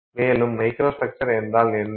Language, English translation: Tamil, And what is the microstructure